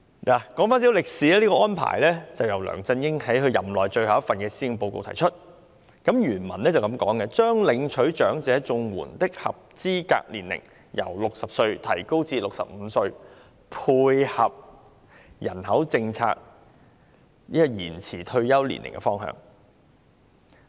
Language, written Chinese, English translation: Cantonese, 說回一些歷史，這個安排是梁振英在其任內最後一份施政報告中提出的，原文是這樣寫的："將領取長者綜援的合資格年齡由60歲提高至65歲，配合人口政策延遲退休年齡的方向。, Let me recap some history . This arrangement was proposed by LEUNG Chun - ying in the last Policy Address during his term and in the relevant paragraph it is written that the eligible age for elderly CSSA will be raised from 60 to 65 to align with the direction of our population policy to extend retirement age